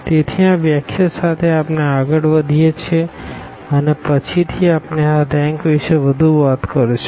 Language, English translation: Gujarati, So, with this definition, we go ahead and later on we will be talking more about this rank